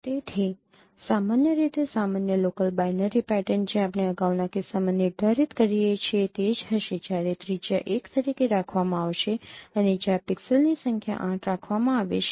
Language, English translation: Gujarati, So typically the ordinary local binary pattern what we defined in the previous case, that would be the same when the radius is kept as one and when the number of pixel is kept as 8